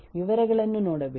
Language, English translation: Kannada, Don’t look into the details